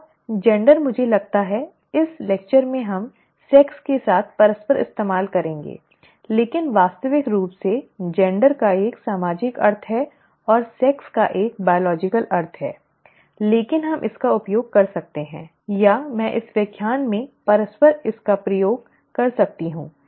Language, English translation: Hindi, Now, gender I think in this lecture we would use interchangeably with sex but in actual terms gender has a social connotation and sex has a biological connotation but we could use this, or I could use this interchangeably in this lecture